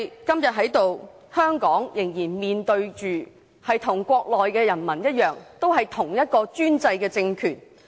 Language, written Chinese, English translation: Cantonese, 今天的香港，仍然與國內的人民面對着同一個專制政權。, Nowadays Hong Kong still faces the same totalitarian regime with the people in the Mainland